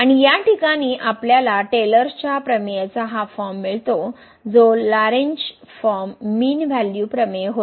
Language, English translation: Marathi, And in this case we get this form of the Taylor’s theorem which was which was the Lagrange form mean value theorem